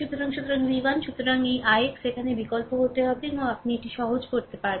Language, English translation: Bengali, So, so v 1 so, this i x has to be substitute here and you have to simplify it